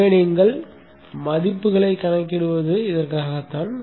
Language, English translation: Tamil, So this is how you calculate the value of